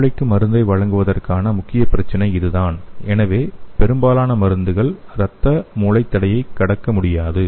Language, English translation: Tamil, So that is the major problem for delivering the drug to the brain, so most of the drugs it cannot cross the blood brain barrier